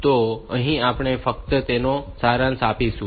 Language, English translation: Gujarati, So, we will just summarize them